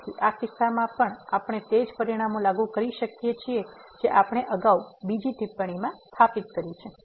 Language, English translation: Gujarati, So, in this case also we can apply the same result what we have established earlier another remark